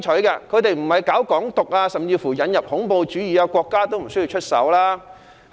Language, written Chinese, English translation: Cantonese, 如果他們沒有搞"港獨"、甚至引入恐怖主義，國家也無須出手。, If they had not championed Hong Kong independence or resorted to even terrorism the Central Authorities would not have intervened